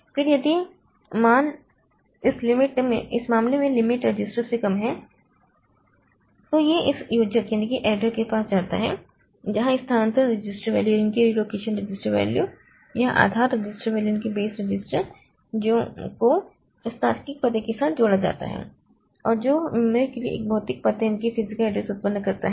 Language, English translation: Hindi, Then if the value is less than the limit register in that case it goes to the goes to this adder where this relocation register value or the base register value is added with this logical address and that generates a physical address for the memory